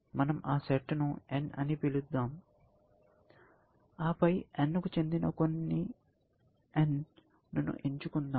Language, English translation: Telugu, Let us call them N and then, pick some n belonging to N